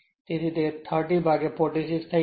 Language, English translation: Gujarati, So, it will be 30 by 46